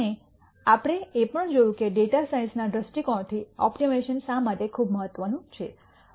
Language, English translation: Gujarati, And we also looked at why optimization is very important from a data science viewpoint